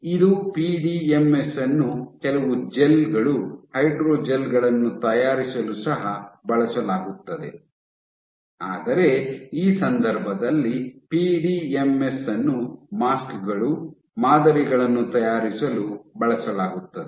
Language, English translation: Kannada, So, this was PDMS was also used for making some of the gels, hydrogels, but in this case PDMS is used for making the masks not the you know the patterns